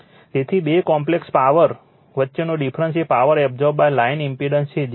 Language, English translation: Gujarati, So, the difference between the two complex power is the power absorbed by the line impedance that is the power loss right